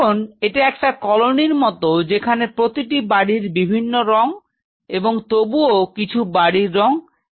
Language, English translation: Bengali, Now it is a kind of a colony where every house has different color and yet some houses which are of similar color